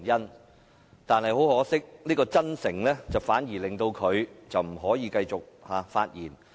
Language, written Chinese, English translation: Cantonese, 不過，很可惜，他的真誠反而令他不能繼續發言。, Unfortunately owing to his honesty he could not continue with his speech